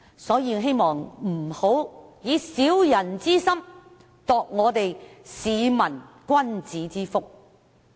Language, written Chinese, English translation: Cantonese, 所以，希望大家不要以"小人之心，度市民君子之腹"。, I therefore hope that Members will not make subjective guesses about peoples intention